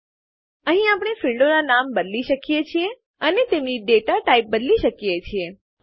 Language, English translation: Gujarati, Here we can rename the fields and change their data types